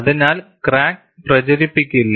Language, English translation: Malayalam, So, crack will not propagate